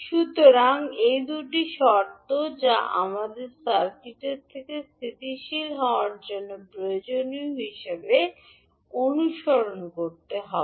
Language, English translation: Bengali, So these are the two conditions which we have to follow as a requirement for h s to of the circuit to be stable